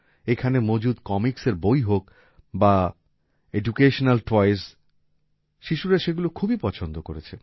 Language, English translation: Bengali, Whether it is comic books or educational toys present here, children are very fond of them